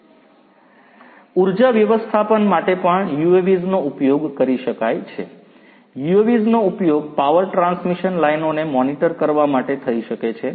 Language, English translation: Gujarati, For energy management also UAVs could be used; UAVs could be used to monitor the power transmission lines